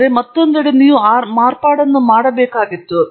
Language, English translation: Kannada, But on the other hand, you did have to make that modification